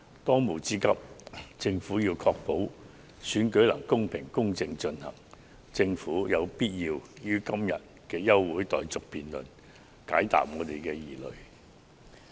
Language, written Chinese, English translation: Cantonese, 當務之急，政府確保選舉能公平、公正進行，並於今天的休會待續議案的辯論中解答我們的疑問及釋除疑慮。, As a matter of priority the Government should ensure that the election can be held in a fair and just manner and it should also answer our queries and address our concerns in this adjournment motion debate today